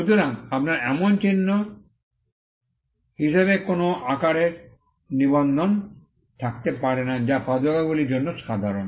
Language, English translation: Bengali, So, you cannot have a registration of a shape as a mark which is essentially to which is common for footwear